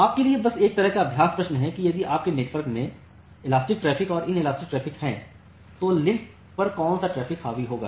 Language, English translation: Hindi, So, just a kind of practice question for you that if you have elastic traffic and inelastic traffic in your network, which traffic will dominate over the link